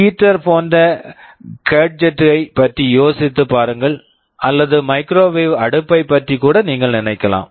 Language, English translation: Tamil, Think of a gadget like heater or even you can think of microwave oven